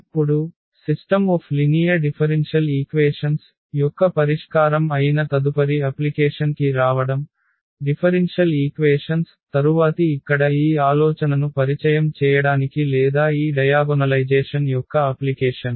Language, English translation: Telugu, Now, coming to the next application which is the solution of the system of linear differential equations though the differential equations will be the topic of the next few lectures, but here just to introduce the idea of this or the application of this diagonalization